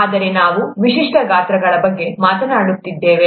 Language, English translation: Kannada, But we’re talking of typical sizes